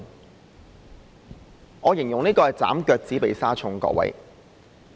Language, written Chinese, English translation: Cantonese, 各位，我形容這是"斬腳趾避沙蟲"。, Honourable colleagues I describe this as trimming the toes to fit the shoes